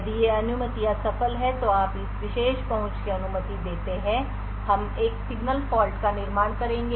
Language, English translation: Hindi, If these permissions are successful, then you allow this particular access else we will create a signal fault